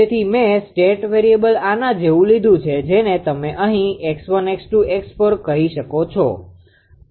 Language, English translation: Gujarati, So, I have taken state variable like this you are what you call here x 1, x 1, x 2, x 3, x 4